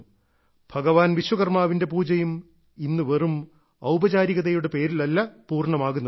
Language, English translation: Malayalam, The worship of Bhagwan Vishwakarma is also not to be completed only with formalities